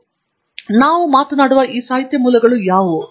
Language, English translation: Kannada, So, what are these literature sources that we are talking about